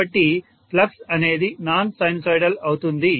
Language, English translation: Telugu, So the flux is non sinusoidal